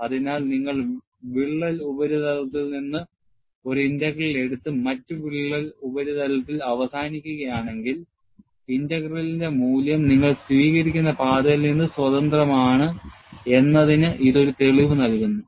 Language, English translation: Malayalam, So, this gives a proof, that if you take a integral from the crack surface and ends with the other crack surface, the value of the integral is independent of the path that you take